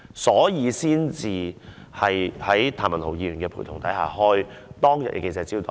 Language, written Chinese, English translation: Cantonese, 所以，她在譚文豪議員陪同下，召開當天的記者招待會。, Therefore she held the press conference accompanied by Mr Jeremy TAM on the other day